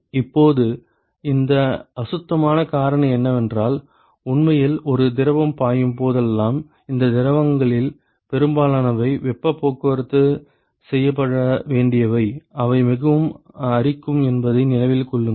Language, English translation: Tamil, Now what this fouling factor is, is that whenever there is a fluid which is actually going to flow through, so, remember that most of these fluids that for which heat transport has to be done they are very corrosive